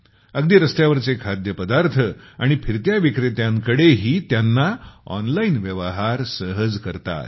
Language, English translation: Marathi, Even at most of the street food and roadside vendors they got the facility of online transaction